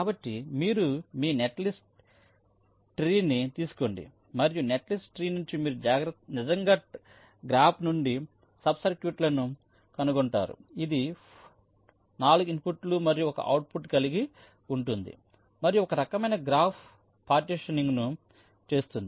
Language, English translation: Telugu, so you take your netlist tree and from the netlist tree you actually find out sub circuits from the graph which will be having upto four inputs and one outputs and do a some kind of graph partitioning